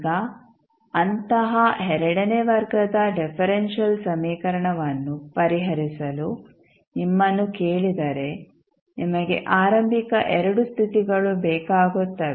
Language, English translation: Kannada, Now, if you are asked to solve such a second order differential equation you require 2 initial conditions